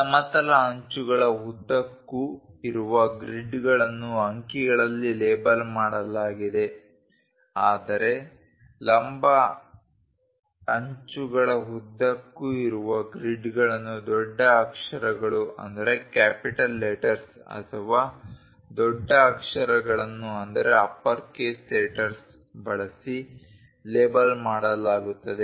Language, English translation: Kannada, The grids along the horizontal edges are labeled in numerals whereas, grids along the vertical edges are labeled using capital letters or uppercase letters